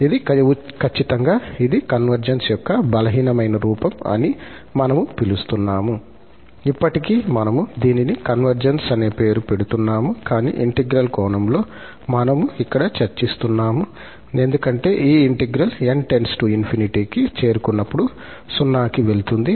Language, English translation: Telugu, And, exactly this is what we are calling that this is a weaker form of the convergence, still we are naming it as a convergence, but in the integral sense, because we are discussing this here that this integral, when n approaches to infinity, it goes to 0